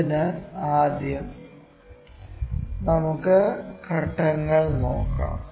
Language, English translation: Malayalam, So, let us first look at the steps